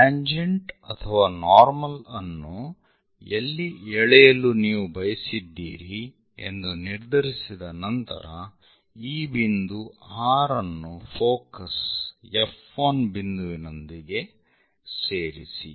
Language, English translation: Kannada, After deciding where you would like to draw the normal or tangent connect that point R with focus F 1